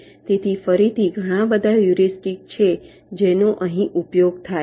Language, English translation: Gujarati, so again there are lot of heuristics that are used here